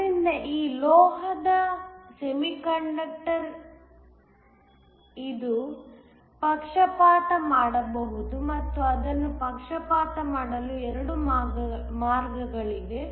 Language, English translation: Kannada, So, this metal oxide semiconductor it can be biased and there are 2 ways of biasing it